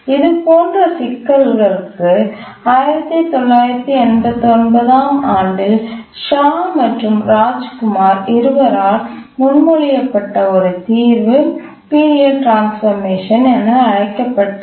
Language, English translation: Tamil, So a solution proposed proposed by Shah and Rajkumar known as the period transformation method, 1998